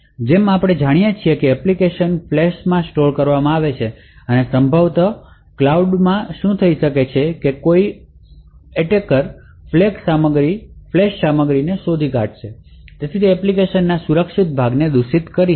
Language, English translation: Gujarati, So, as we know that the application would be stored in the flash and what could possibly happen is that an attacker could modify the flash contents and therefore could modify the secure components of that application the function maliciously